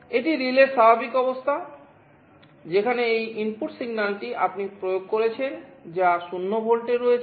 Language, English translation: Bengali, This is the normal state of the relay, where this signal this input signal that you are applying where signal is at 0 volts